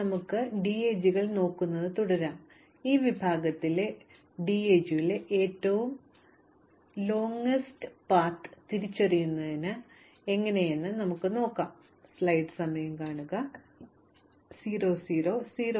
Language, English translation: Malayalam, Let us continue to look at DAGs and in this section we will look at a different problem called identifying the Longest Path in a DAG